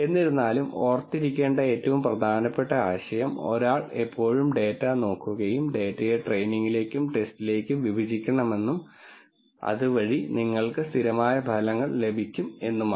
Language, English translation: Malayalam, Nonetheless the most important idea to remember is that one should always look at data and partition the data into training and testing so that you get results that are consistent